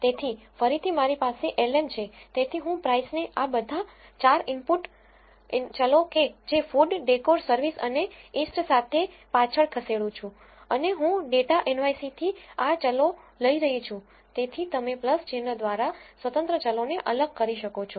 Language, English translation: Gujarati, So, again I have l m so, I am regressing price with all the 4 input variables which is food, decor, service and east and I am taking these variables from the data nyc